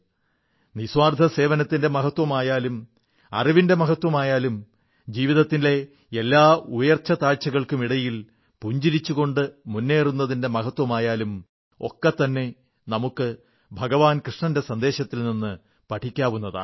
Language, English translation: Malayalam, The importance of selfless service, the importance of knowledge, or be it marching ahead smilingly, amidst the trials and tribulations of life, we can learn all these from Lord Krishna's life's message